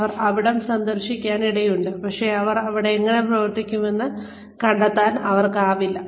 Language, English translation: Malayalam, They may visit, but they will probably, not be able to find out, how they will perform